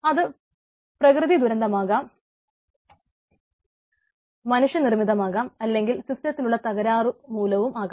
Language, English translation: Malayalam, right, it may be disaster, natural, manmade, system failure, etcetera